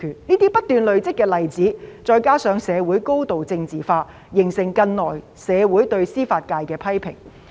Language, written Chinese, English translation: Cantonese, 這些不斷累積的例子，再加上社會高度政治化，形成近來社會對司法界的批評。, These accumulating examples coupled with a highly politicized society have given rise to criticisms of the judicial sector in society recently